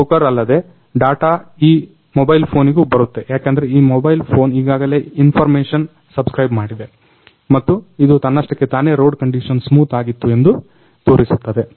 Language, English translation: Kannada, And apart from the from these broker the data is given a data is going into this mobile phone because this mobile phone already subscribe the information and it is automatically shows that the road conditions that was the smooth